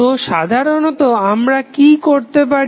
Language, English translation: Bengali, So, what we generally do